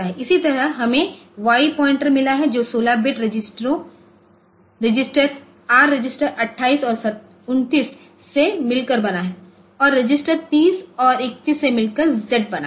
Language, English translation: Hindi, Similarly, we have got y pointer which is another 16 bit consisting of the registers r register 28 and 29 and z register consisting of the registers 30 and 31